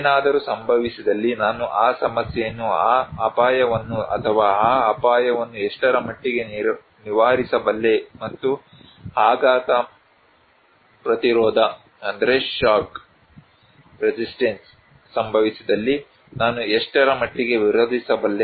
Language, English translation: Kannada, If something will happen, what extent I can overcome that problem, that risk or that danger and how I can absorb the shock, the resist